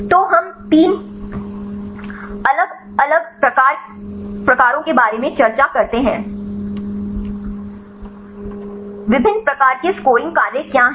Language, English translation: Hindi, So, we discuss about 3 different types, what is different types of scoring functions